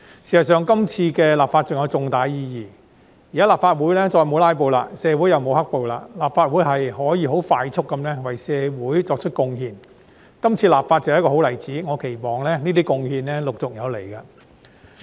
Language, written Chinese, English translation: Cantonese, 事實上，這次立法還有重大意義，現在立法會再沒有"拉布"，社會又沒有"黑暴"，立法會可以快速地為社會作出貢獻，這次立法正是一個好例子，我期望這些貢獻陸續有來。, In fact this legislation also carries substantial meaning . At present given that there is neither filibuster in the Legislative Council nor black - clad riot in society this Council can make contributions to society in a speedy manner . This legislation exercise is a good example and I wish that there will be more such contributions to come